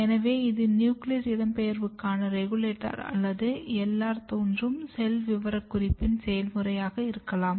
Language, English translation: Tamil, So, this could be one of the early regulator of nuclear migration or the process of LR founder cell specification